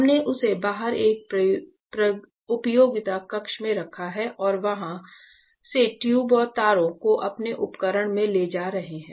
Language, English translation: Hindi, So, we have kept it outside in a utility room and we are taking the tubes and wires from there into our equipment